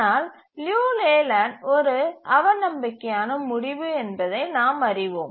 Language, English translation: Tamil, But then we know that Liu Leyland is a pessimistic result